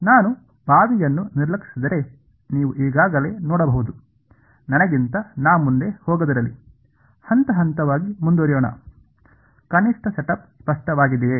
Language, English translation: Kannada, You can already see that if I ignore the well; let me not get ahead of myself let us continue step by step ok, at least the setup is clear